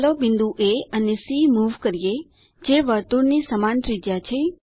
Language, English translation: Gujarati, Lets Move the point A see that circle has same radius